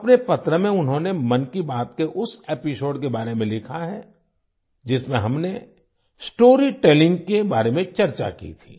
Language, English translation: Hindi, In her letter, she has written about that episode of 'Mann Ki Baat', in which we had discussed about story telling